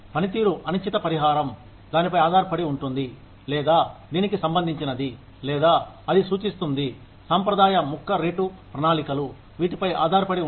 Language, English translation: Telugu, Performance contingent compensation, depends on, or it relates to, or it refers to, the traditional piece rate plans, could be based on